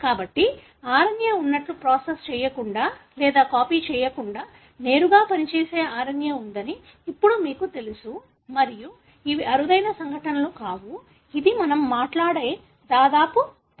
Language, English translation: Telugu, So, now you know that there are RNA that also functions directly, without being processed or copied as RNA and these are not rare events; you have in almost every cell that we talk about